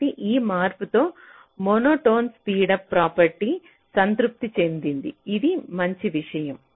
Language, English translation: Telugu, so with this modification the monotone speedup property is satisfied